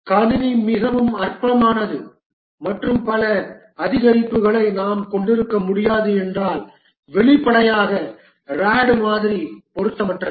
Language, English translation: Tamil, If the system is very trivial and we cannot have several increments, then obviously RAD model is unsuitable